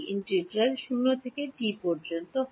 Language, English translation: Bengali, Integral is from 0 to t